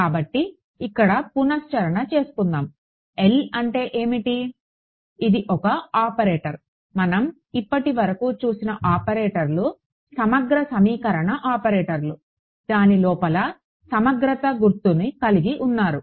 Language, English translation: Telugu, So, the recap over here, what was L was an operator right so, far the operators that we had seen were integral equation operator they had a integral sign inside it ok